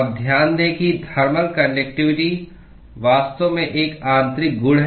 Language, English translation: Hindi, Now, note that thermal conductivity is actually an intrinsic property